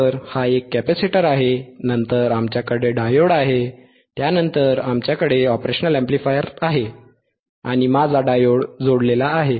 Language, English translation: Marathi, So, this is a capacitor, then we have a diode we have a diode,, we have operational amplifier, right we have an operational amplifier, and my diode is connected my diode is connected